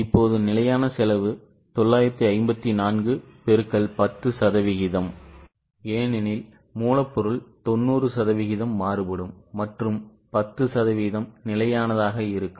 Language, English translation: Tamil, Now fixed cost, 954 into 10% because variable cost, sorry, raw material is 90% variable and 10% fixed